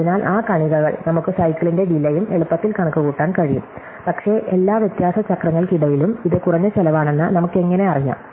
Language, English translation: Malayalam, So, that part is easy, we can even compute the cost of the cycle, that is also easy, but how do we know that among all the difference cycles, this is the least cost